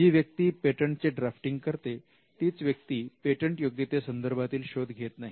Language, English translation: Marathi, It is not the person who drafts the patent who does the search